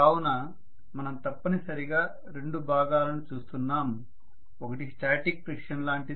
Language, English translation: Telugu, So we are essentially looking at two components, one is like a static friction